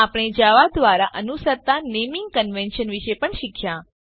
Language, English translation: Gujarati, We also saw the naming conventions followed in java